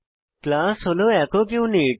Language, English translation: Bengali, Class is a single unit